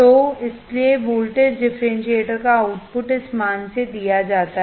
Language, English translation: Hindi, So, output of the voltage differentiator is given by this value